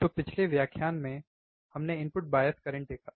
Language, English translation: Hindi, So, last lecture, we have seen the input bias current, right